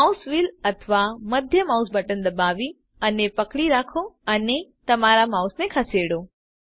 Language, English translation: Gujarati, Press and hold mouse wheel or middle mouse button and move your mouse